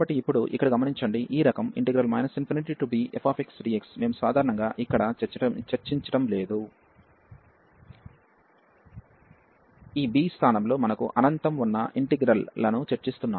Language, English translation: Telugu, So, now just in note here that this integral of this type minus infinity to b f x dx, we are not you normally discussing here, we are just discussing the integrals where we have infinity in place of this b